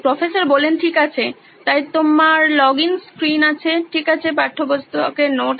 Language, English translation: Bengali, Okay, so you have login screen, okay textbook notes